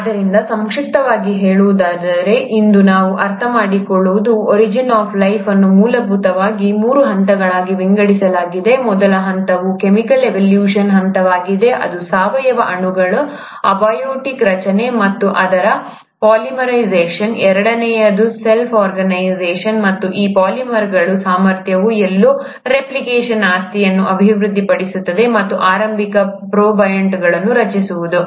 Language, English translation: Kannada, So, to summarize, what we understand today, is that the origin of life essentially is divided into three stages; the first stage is the stage of chemical evolution, which is abiotic formation of organic molecules and it's polymerization; the second is the self organization, and the ability of these polymers to somewhere develop the property of replication and formed the early protobionts